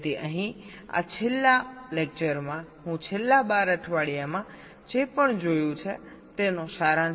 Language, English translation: Gujarati, so here in this last lecture i will try to summarize whatever we have seen over the last twelfth weeks